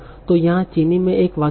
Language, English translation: Hindi, So here is a sentence in Chinese